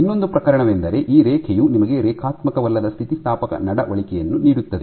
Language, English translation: Kannada, The other case is this curve which gives you a non linear elastic behaviour